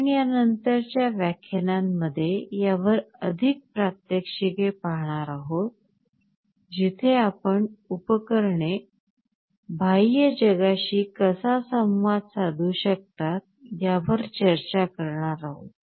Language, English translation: Marathi, We shall be seeing more demonstrations on these in the later lectures, where you will also be looking at how the devices can communicate with the outside world